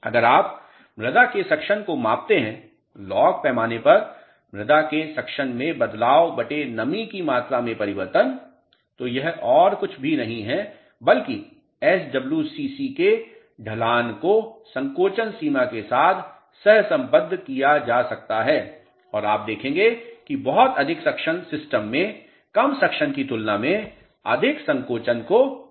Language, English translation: Hindi, If you measure the soil suction change in soil suction on a log scale divided by change in moisture content it is nothing but the slope of the SWCC can be correlated with shrinkage limit and you will notice that very high suction would induce more shrinkage in the system as compared to low suction